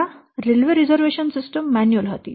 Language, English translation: Gujarati, So, previously this railway reservation system was manually